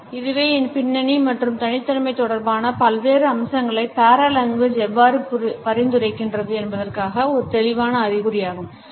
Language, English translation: Tamil, This is a clear indication of how paralanguage suggest different aspects related with our personality in background